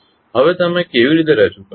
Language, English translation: Gujarati, Now, how you will represent